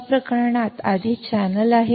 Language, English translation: Marathi, In this case but, there is already channel